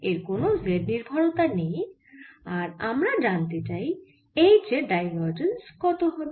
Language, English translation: Bengali, there is no z dependence and what we want to find is what is divergence of h